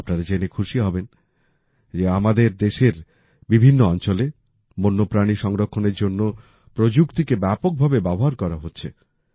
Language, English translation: Bengali, You will be happy to know that technology is being used extensively for the conservation of wildlife in different parts of our country